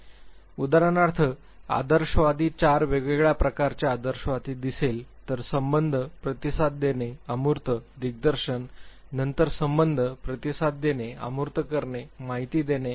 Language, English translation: Marathi, For instance, idealist if you see there are four different types of idealists; affiliative, responding, abstract, directing; then affiliative, responding, abstract, informing